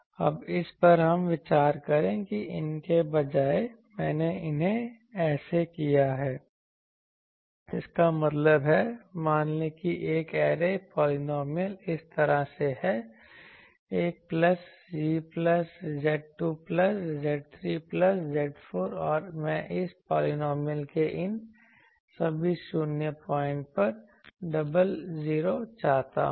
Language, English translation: Hindi, Now, consider that instead of these, I squared these so, that means, suppose let us say an array polynomial is like this 1 plus Z plus Z square plus Z cube plus Z 4 and I want double 0s at all these 0 points of this polynomial